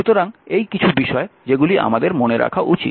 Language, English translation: Bengali, So, these are certain things you should keep it in your mind